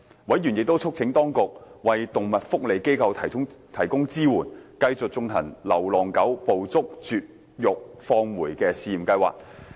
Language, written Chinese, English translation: Cantonese, 委員亦促請當局為動物福利機構提供支援，繼續推行流浪狗"捕捉、絕育、放回"試驗計劃。, Meanwhile members also called on the Administration to provide support to animal welfare organizations to facilitate their continued implementation of the Trap - Neuter - Return trial programme